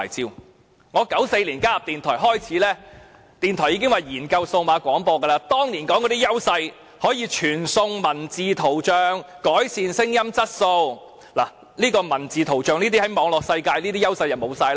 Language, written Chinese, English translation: Cantonese, 自從我在1994年加入電台開始，電台方面已表示要研究進行數碼廣播，當年所說的優勢包括可以傳送文字圖像、改善聲音質素，但在文字圖像方面，它在網絡世界的優勢已完全失去。, I started working in a radio station in 1994 and since then there have been many discussions about the launching of digital audio broadcasting . According to the arguments put forward back then digital audio broadcasting would render the transmission of text images possible and offer better sound quality . However as far as the transmission of text images is concerned digital audio broadcasting has completely lost its competitive edge in the Internet world